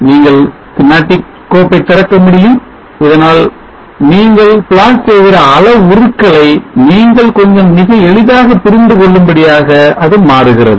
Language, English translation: Tamil, You could open the schematic file so that it becomes a bit more easy for you to understand the variable that you are plotting